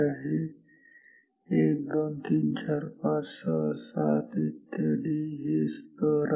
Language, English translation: Marathi, 1 2 3 4 5 6 7 8 etc these are the levels